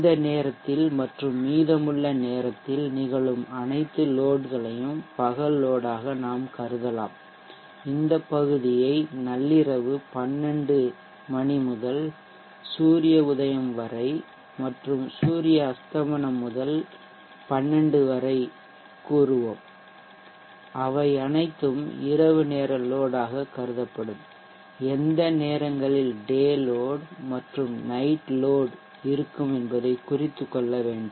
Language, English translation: Tamil, we can consider as day load all the loads occurring during that time and during the remaining time, we will say this portion from 12:00 midnight to sunrise and from sunset on to 12:00 midnight they all will be considered as times, where night load occurs